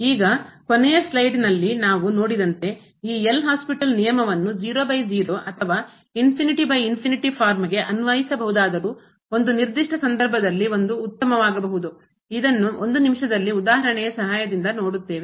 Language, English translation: Kannada, Now, as we have seen in the last slide that although this L’Hospital rule can be apply to 0 by 0 or infinity by infinity form, but 1 may be better in a particular case this we will see with the help of example in a minute